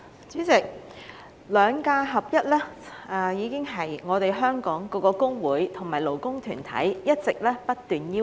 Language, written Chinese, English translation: Cantonese, 主席，"兩假合一"是香港各工會及勞工團體一直不斷提出的要求。, President the alignment of statutory holidays SHs with general holidays GHs has been a long - standing demand of various trade unions and labour organizations in Hong Kong